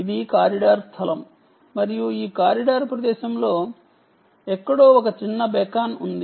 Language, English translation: Telugu, so this is the corridor space, and somewhere in this corridor space there is a small beacon which is installed